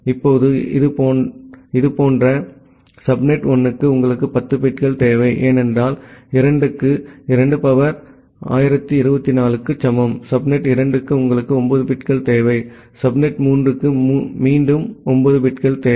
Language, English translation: Tamil, Now, if this is the case, then for subnet 1 you require 10 bits, because 2 to the power 2 equal to 1024, for subnet 2 you require 9 bits, for subnet 3 you again require 9 bits